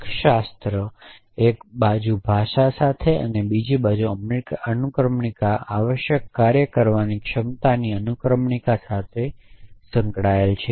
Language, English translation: Gujarati, So, logic is associated with on the 1 hand with language and on the other hand with inference, inference procedure of the capability to doing essentially